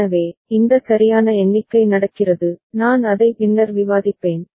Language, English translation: Tamil, So, this proper count is happening, I shall discuss it later